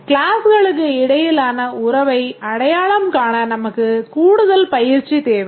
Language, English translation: Tamil, We need more practice to identify the relationship between classes